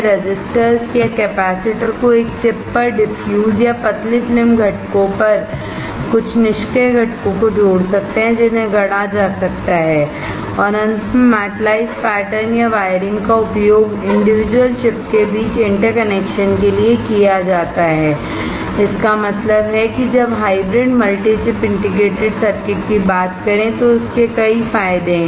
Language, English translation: Hindi, Diffuse resistors or capacitors on a single chip or thin film components can be of some of the passive components, that can be fabricated and finally the metalized pattern or wiring is used for interconnection between the individual chip; that means, that there are several advantages when you talk about hybrid multi chip integrated circuits